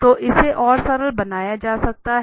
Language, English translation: Hindi, So, this can be further simplified